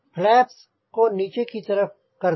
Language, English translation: Hindi, put flaps down